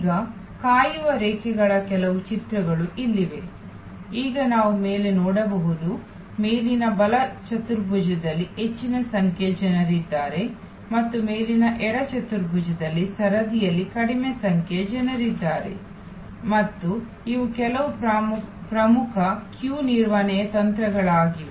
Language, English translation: Kannada, Now, here are some pictures of waiting lines, now we can see on top there are large number of people on the top right quadrant and there are far lesser number of people on the queue on the top left quadrant and these are some important techniques for queue management